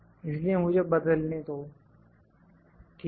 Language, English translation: Hindi, So, let me convert, ok